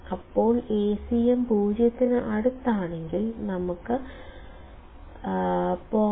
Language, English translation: Malayalam, Then if Acm is close to 0; let us say 0